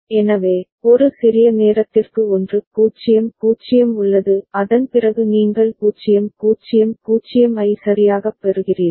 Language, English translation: Tamil, So, for a small time 1 0 0 is there; and after that only you are getting the 0 0 0 right